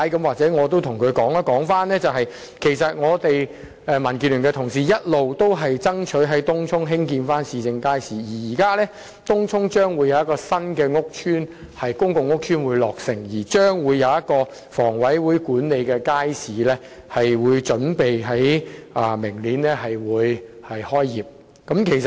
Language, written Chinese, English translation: Cantonese, 或許我可以告訴他，其實民建聯的同事一直爭取在東涌興建市政街市，而東涌未來將會有新的公共屋邨落成，一個由香港房屋委員會管理的街市預計於明年開業。, Maybe I can tell him that actually DAB colleagues have been striving for the construction of a municipal market in Tung Chung . And in future the construction of a new public housing estate in Tung Chung will be completed . A market to be managed by the Hong Kong Housing Authority is scheduled to commence operation next year